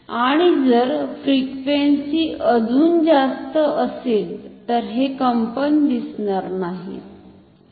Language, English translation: Marathi, And, if the frequency is even higher the vibration will be invisible, unobservable